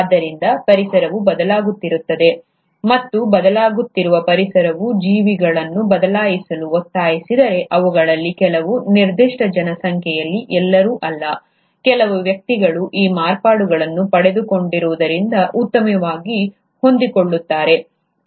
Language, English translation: Kannada, So, if the environment is changing and that changing environment demands the organism to change, some of them, not all of them in a given population, certain individuals will adapt better because they have acquired these modifications